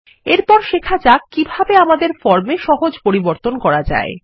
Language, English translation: Bengali, Next, let us learn how to make simple modifications to our form